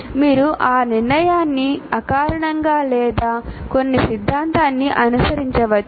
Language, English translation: Telugu, You may do that decision intuitively or following some theory